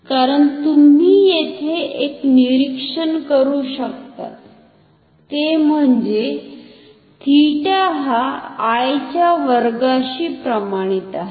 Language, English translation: Marathi, Why, because one observation you can make here is that theta is proportional to I square